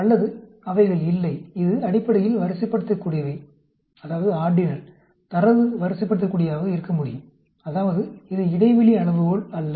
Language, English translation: Tamil, Or, they have not, it is basically ordinal; the data could be ordinal; that means, it is not interval scale